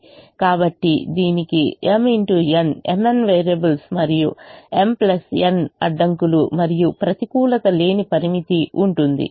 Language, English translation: Telugu, so it will have m into n, m n variables and m plus n constraints and a non negativity restriction